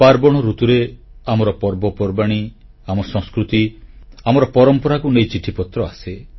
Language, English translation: Odia, During the festival season, our festivals, our culture, our traditions are focused upon